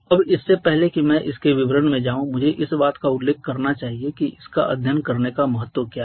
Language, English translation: Hindi, Now before I go into the details of this I must mention that what is the importance of studying that